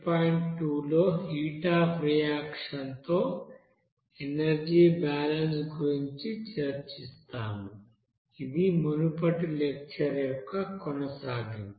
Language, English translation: Telugu, 2 we will discuss about energy balance with heat of reaction, which is continuation of the previous lecture